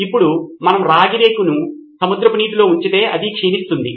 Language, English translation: Telugu, Now if we put copper in seawater it becomes corroded